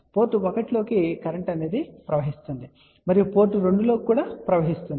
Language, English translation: Telugu, Current is coming into the port 1, and current is also coming into the port 2